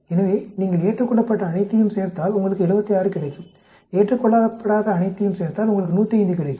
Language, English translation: Tamil, So, if you add up all this accepted you get 76, if you add up all these not accepted you get 105